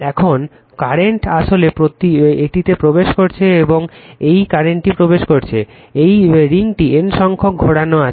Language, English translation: Bengali, Now, current actually entering it, this current is entering this ring has N number of turns right